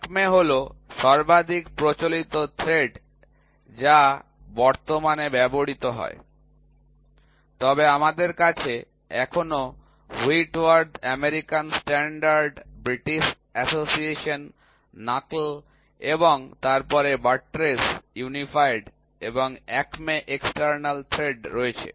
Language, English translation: Bengali, So, Acme is the most common thread which is used today, but we still have Whitworth, American Standard, British Association, Knuckle and then, Buttress, Unified and Acme external thread